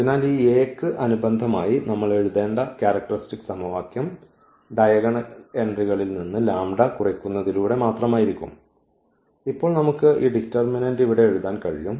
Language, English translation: Malayalam, So, the characteristic polynomial characteristic equation we have to write corresponding to this A which will be just by subtracting this lambda from the diagonal entries and now we can write down in terms of this I mean this determinant here